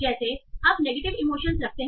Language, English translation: Hindi, Like so you are having negative emotions